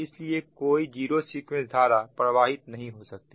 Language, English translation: Hindi, that means this zero sequence current can flow